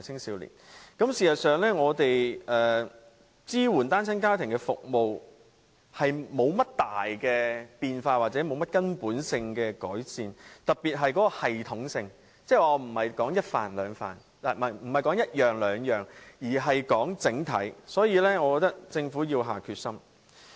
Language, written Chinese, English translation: Cantonese, 事實上，我們支援單親家庭的服務多年來沒有大變化或者根本性的改善，特別是在系統上，我指的不是一兩項措施，而是整體而言。, In fact our supporting services to single - parent families have not undergone major changes or fundamental changes for many years especially in terms of the system and I am not referring to one or two measures but to the overall picture